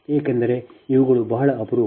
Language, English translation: Kannada, because these are very rare, these are necessary